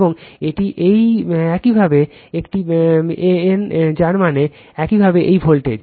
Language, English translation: Bengali, And this is this is your a n that means, your this voltage